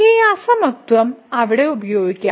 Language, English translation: Malayalam, So, we can use this inequality there